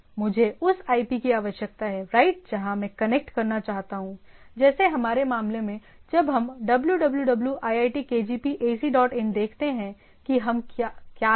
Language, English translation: Hindi, I require that IP right, of that where I want to connect, like in our case when we “www iitkgp ac dot in” what we are looking at